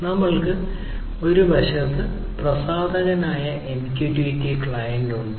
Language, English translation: Malayalam, So, we have the MQTT client which is the publisher on one hand